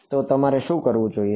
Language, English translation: Gujarati, So, what should you do